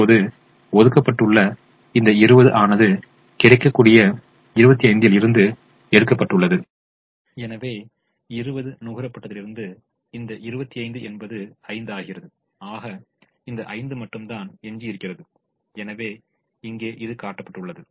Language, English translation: Tamil, now this twenty, which we have now allocated, has been taken out of the twenty five that is available and therefore, since twenty has been consumed, this twenty one become twenty, five becomes five, which is what is remaining